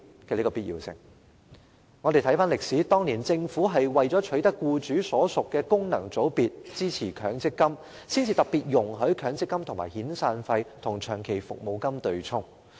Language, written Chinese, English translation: Cantonese, 回看歷史，政府當年為了爭取僱主所屬的功能界別支持強積金計劃，才特別容許強積金可與遣散費和長期服務金對沖。, Reviewing history in those days the Government particularly permitted the offsetting of severance payments and long service payments with MPF benefits only because it had to secure support from those FCs the members of which were employers for the MPF System